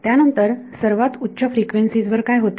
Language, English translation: Marathi, Then what happens at extremely large frequencies